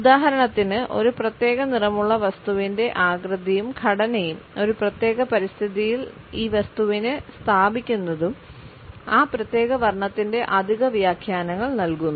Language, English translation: Malayalam, For example, the shape and the texture of the object on which the color is seen, the placing of this object in a particular environment etcetera also provide additional interpretations of a particular color